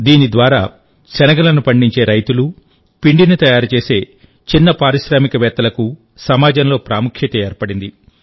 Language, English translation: Telugu, Through this, the importance of farmers who grow gram and small entrepreneurs making batashas has been established in the society